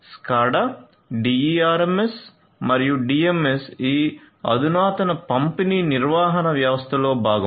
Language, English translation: Telugu, So, SCADA DERMS and DMS these are part of this advanced distributed management system